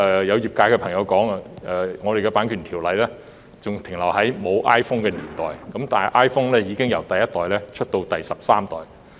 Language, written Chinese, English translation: Cantonese, 有業界朋友表示，我們的《版權條例》仍停留在沒有 iPhone 的年代，但 iPhone 已由第一代演進至第十三代。, According to some trade members Hong Kongs Copyright Ordinance is so outdated that it remains as if it was in the pre - iPhone era yet iPhone has now evolved from its first generation to its 13th generation